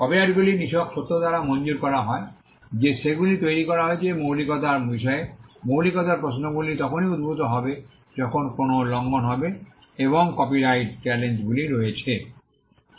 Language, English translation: Bengali, Copyrights are granted by the mere fact that they are created and originality questions on originality would arise only when there is an infringement and there are challenges made to the copyright